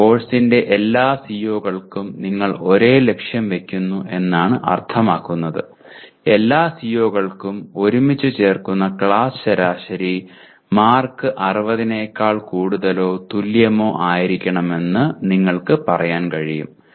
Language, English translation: Malayalam, That means you set the same target for all COs of a course like you can say the class average marks for the entire class for all COs put together should be greater than or equal to 60 marks